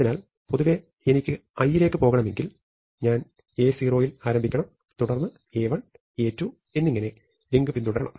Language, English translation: Malayalam, So, in general if I want to go to A i, I have to start at A 0, then follow my link to A 1 and so, on